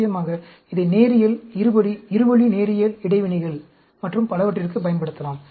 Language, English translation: Tamil, Of course, we can also use it for linear, quadratic, two way linear interactions and so on